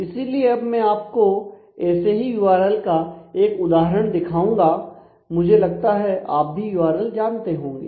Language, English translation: Hindi, So, here I am showing an example of such a URL all of you be familiar with URLs